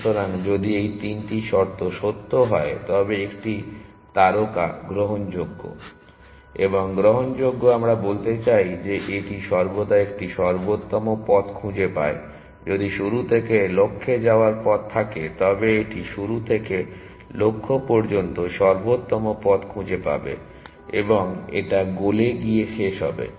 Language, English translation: Bengali, So, if these three conditions are true then a star is admissible and admissible we mean it always finds a optimal path if there is if there is a path from start to the goal, then it will find the optimal path from start to the goal and it will terminate to the goal